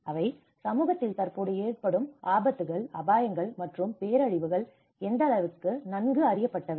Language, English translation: Tamil, To what extent are hazards, risks, and disasters within society currently well known